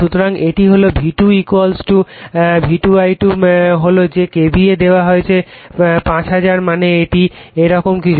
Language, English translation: Bengali, So, it is V2 is your = your V2 I2 is that is KVA is given 5000 I mean this is something like this